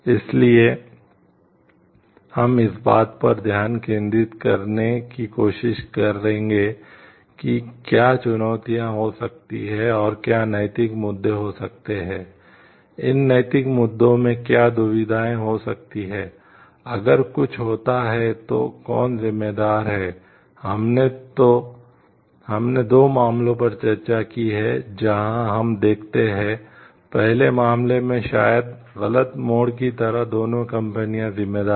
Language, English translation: Hindi, So, we will this we try to focus like, what could be the challenges and what could be the ethical issues, what could be the dilemma in these ethical issues, like if something happens, then who is responsible we have discussed two cases, where we see like in the first case both the companies are responsible for maybe the wrong turn like